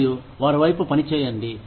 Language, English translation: Telugu, And, work towards them